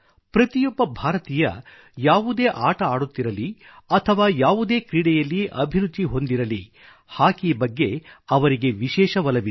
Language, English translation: Kannada, Each Indian who plays any game or has interest in any game has a definite interest in Hockey